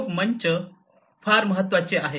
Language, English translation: Marathi, Collaboration platforms are very important